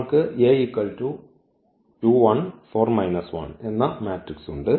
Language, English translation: Malayalam, So, what is the matrix